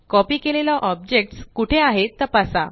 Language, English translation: Marathi, Check where the copied object is placed